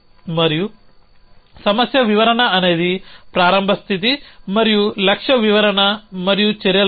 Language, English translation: Telugu, And the problem description is a starts states and a goal description and a set of actions